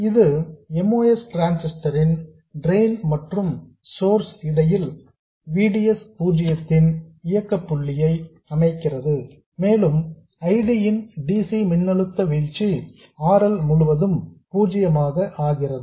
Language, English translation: Tamil, This sets up an operating point of VDS 0 between the drain and source of the most transistor and DC voltage drop of ID0 RL across RL